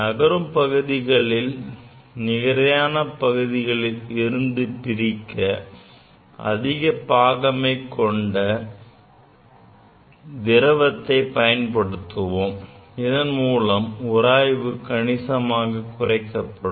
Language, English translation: Tamil, Higher viscous liquid is used to keep separate the moving surface from the fixed surface to reduce the friction, right